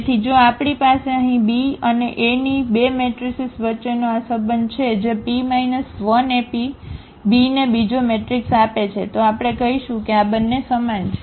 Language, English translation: Gujarati, So, if we have this relation between the 2 matrices here B and A that P inverse AP gives the B the other matrix, then we call that these two are similar